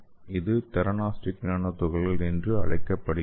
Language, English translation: Tamil, That is called as theranostic nanoparticles